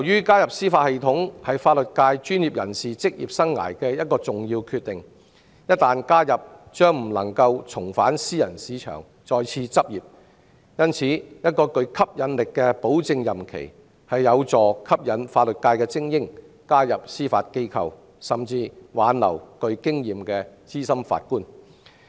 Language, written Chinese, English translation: Cantonese, 加入司法系統是法律界專業人士職業生涯的一個重要決定，一旦加入將不能重返私人市場再次執業，因此，一個具吸引力的保證任期，有助吸引法律界精英加入司法機構，亦可挽留具經驗的資深法官。, Joining the Bench is an important career decision for a legal professional as there can be no return to private practice . Therefore a sufficiently long guaranteed term of office will be able to attract legal elites to join the Judiciary while retaining experienced senior Judges